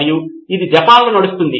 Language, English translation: Telugu, And it runs in Japan